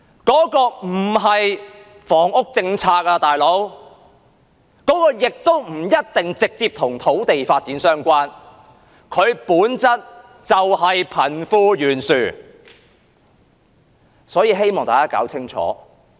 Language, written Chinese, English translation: Cantonese, 這個做法不是一項房屋政策，亦不一定直接與土地發展相關，本質上是貧富懸殊的問題。, This practice is not about a housing policy and it may not be directly related to land development for it is a problem of disparity between the rich and the poor in nature